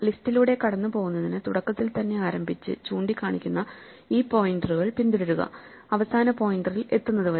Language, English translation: Malayalam, So, in order to go through the list we have to start at the beginning and walk following these pointers till we reach the last pointer which points to nothing